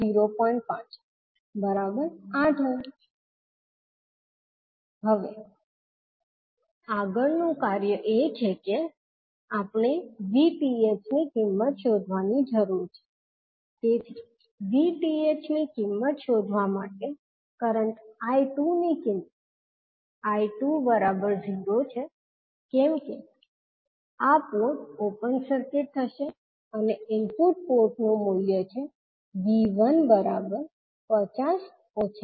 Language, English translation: Gujarati, Now, next task is we need to find out the value of V Th, so for finding out the value of V Th the value of current I 2 will be 0 because this port will be open circuited and the input port the value of V 1 will be now 50 minus of 10 I 1